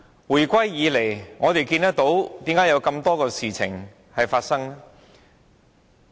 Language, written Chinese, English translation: Cantonese, 回歸以來，為何有這麼多事情發生？, Why have there been so many incidents since the reunification?